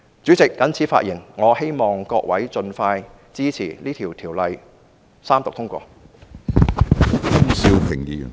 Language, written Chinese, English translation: Cantonese, 主席，我謹此陳辭，我希望各位盡快支持《條例草案》三讀通過。, With these remarks Chairman I hope that Members will support the Third Reading and the passage of the Bill as soon as possible